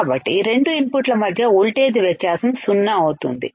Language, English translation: Telugu, So, the voltage difference between the two inputs would be zero, would be zero